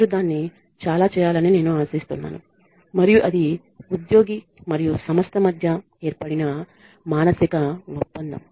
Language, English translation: Telugu, I am expecting you to do this much and that is a psychological contract that is formed between the employee and organization